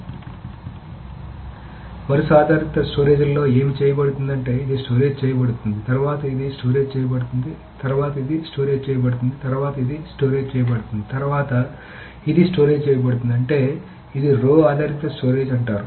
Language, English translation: Telugu, So in a row based storage, what is being done is that this is stored, then this is stored, then this is stored, then this is stored, then this is stored, then this is stored